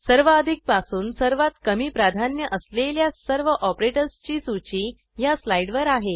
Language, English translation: Marathi, This slide lists all operators from highest precedence to lowest